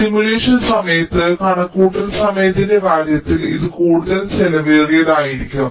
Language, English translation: Malayalam, so this will be much more costly in terms of the computation time during simulation